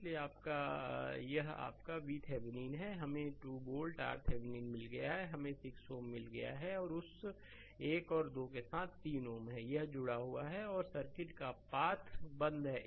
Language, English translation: Hindi, Therefore, you your this is your V Thevenin we got 2 volt R Thevenin we got 6 ohm right, with that 1 and 2 the 3 ohm is it is this is connected and path is circuit is closed